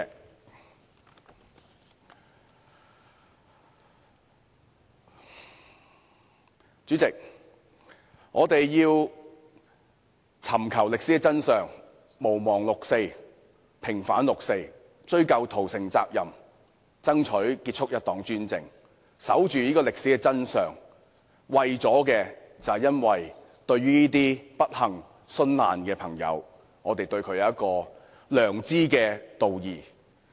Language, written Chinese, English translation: Cantonese, 代理主席，我們要尋找歷史真相，毋忘六四，平反六四，追究屠城責任，爭取結束一黨專制，守住歷史真相，因為我們對這些不幸殉難的人有良知道義。, Deputy President we need to seek the historical truth not forget the 4 June incident vindicate the 4 June incident pursue responsibility for the massacre in Beijing end one - party dictatorship and safeguard the historical truth because we have a conscience and moral duty towards these people who unfortunately died for the cause